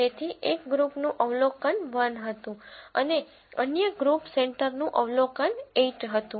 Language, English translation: Gujarati, So, the one group was observation one the other group groups centre was observation 8